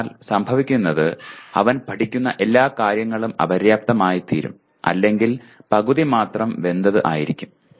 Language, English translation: Malayalam, So what happens is all the things that he is learning will either be inadequate or will be half baked